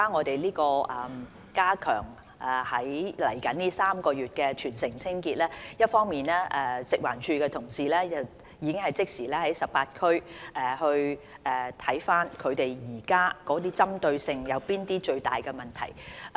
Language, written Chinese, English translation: Cantonese, 未來這3個月的全城清潔，一方面，食環署的同事已即時審視現時18區哪些需要針對的最大問題。, Regarding the upcoming three - month territory - wide cleaning campaign on the one hand colleagues of FEHD have already looked into the biggest problems in 18 districts which have to be addressed first